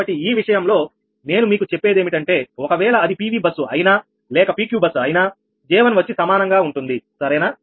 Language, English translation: Telugu, so ah, in this case i told you that whether it is pv bus or pq bus, j one will remain same right